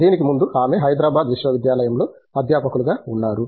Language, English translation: Telugu, Before that she was a faculty in the University of Hyderabad